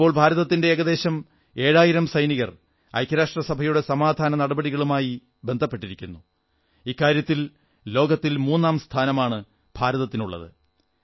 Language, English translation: Malayalam, Presently, about seven thousand Indian soldiers are associated with UN Peacekeeping initiatives which is the third highest number of soldiers from any country